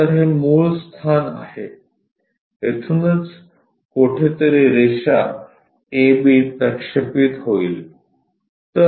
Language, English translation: Marathi, So, this is origin away from there somewhere here a b line projected